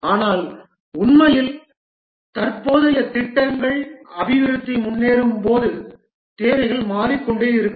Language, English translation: Tamil, But then in reality the present projects, the requirements keep on changing as development proceeds